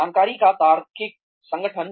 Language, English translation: Hindi, Logical organization of information